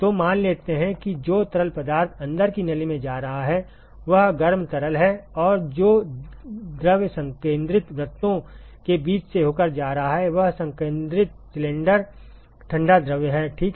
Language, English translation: Hindi, So, let us assume that the fluid which is going to the inside tube is the hot fluid and the fluid which is going through the between the concentric circles is the, concentric cylinders is the cold fluid ok